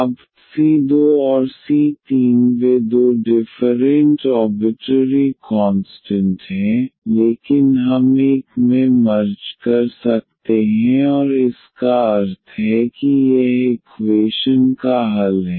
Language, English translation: Hindi, Now, the c 2 and c 3 they are two different arbitrary constants, but we can merge into one and meaning that this is the solution of the equation